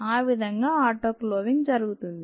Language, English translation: Telugu, that is how the autoclaving is done